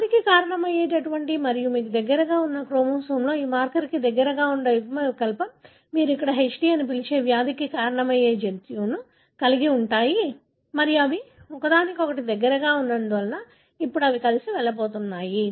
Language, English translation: Telugu, The allele that causes the disease and close to this marker in the chromosome very near by you have a gene that causes a disease which you call as HD here and because they are present close to each other, now they are going to go together